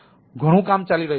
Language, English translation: Gujarati, so there are lot of work going on